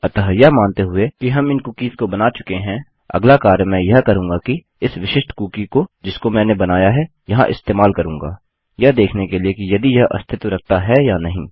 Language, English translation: Hindi, So assuming that we have created these cookies, the next thing Ill do is use this specific cookie here that I have created, to check whether it does exist or not